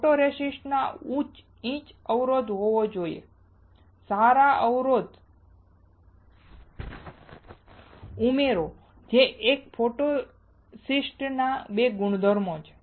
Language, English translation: Gujarati, The photoresist should have high etch resistance and good addition which are the main two properties of a photoresist